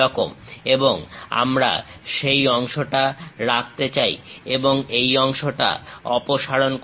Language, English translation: Bengali, And we would like to retain that part and remove this part